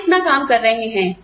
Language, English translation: Hindi, We have putting in, so much work